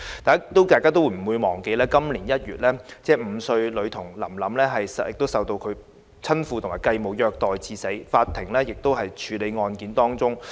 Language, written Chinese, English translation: Cantonese, 大家都不會忘記在今年1月 ，5 歲女童臨臨受到親父及繼母虐待至死，法庭案件仍在處理當中。, We will not forget that in January this year the five - year - old Lam - lam CHAN Sui - lam was abused to death by her father and step - mother and this case is still being processed by the Court